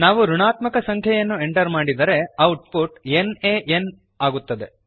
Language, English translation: Kannada, If we enter negative number, output is nan it means not a number